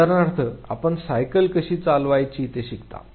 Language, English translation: Marathi, For example, you learn how to ride a bicycle